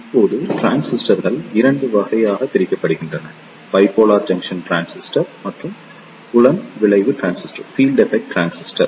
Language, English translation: Tamil, Now, depending upon that the transistors, they are divided into 2 categories; Bipolar Junction Transistor and Field Effect Transistor